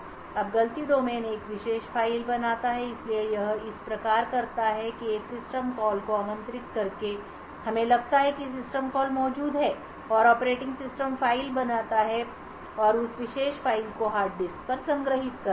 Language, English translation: Hindi, Now fault domain one creates a particular file so it does thus it does this by invoking a system call let us assume that system calls are present and then the operating system creates the file and stores that particular file on the hard disk